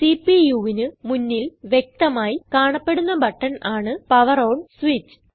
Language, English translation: Malayalam, There is a prominent button on the front of the CPU which is the POWER ON switch